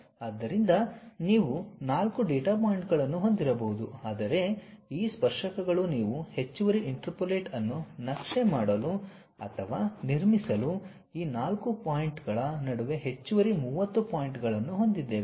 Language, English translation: Kannada, So, you might be having 4 data points, but these tangents you are going to map or construct extra interpolate, extra 30 more points in between these 4 points